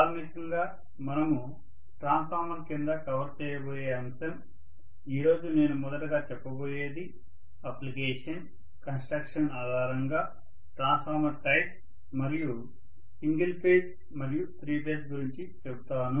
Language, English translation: Telugu, So the topic that we are going to cover under transformer basically are, let me talk about today first, I will be talking about types based on both applications as well as contraction and single phase and three phase these are the various types we will be talking about